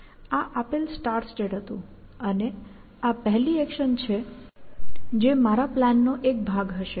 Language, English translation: Gujarati, This was the given start state, and this is the first action that will be there; part of my plan